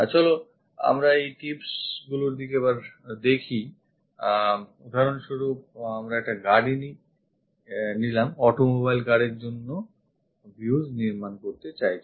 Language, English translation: Bengali, Let us look at these tips for example, we would like to construct views for a car, auto mobile car